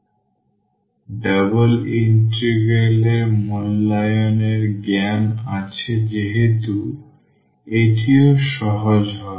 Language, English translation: Bengali, So, having the knowledge of the evaluation of the double integral, this will be also easier